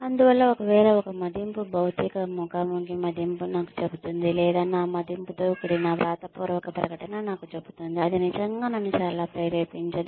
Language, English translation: Telugu, And so, if that is all, that an appraisal, a physical face to face appraisal tells me, or a written statement containing my appraisal tells me, then that is not really going to motivate me very much